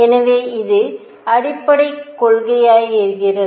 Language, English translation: Tamil, So, this becomes the fundamental principle